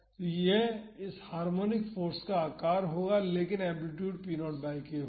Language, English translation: Hindi, So, this will have the shape of this harmonic force, but the amplitude will be p naught by k